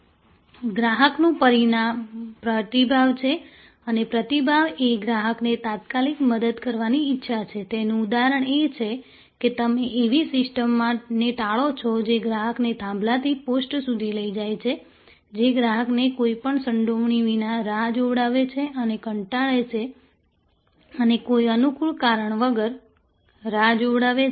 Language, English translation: Gujarati, The next item is responsiveness and responsiveness is the willingness to help the customer promptly, it example is that you avoid systems that make the customer go from pillar to post; that make the customer wait without any involvement and get board and wait for no operand reason